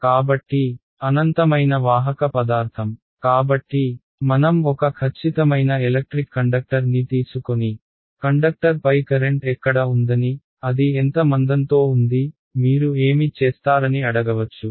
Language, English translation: Telugu, So, infinitely conductive material right; so, in a like we take a perfect electric conductor and ask you where is the current on the conductor, in how much thickness is it in, what would you say